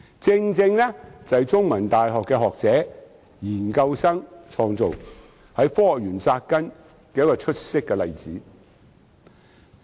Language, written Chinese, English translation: Cantonese, 它由香港中文大學學者和研究生創造，正是一個在科學園扎根的出色例子。, SenseTime was set up by academics and research students from The Chinese University of Hong Kong and it is precisely an apt example for business start - ups rooted in the Hong Kong Science Park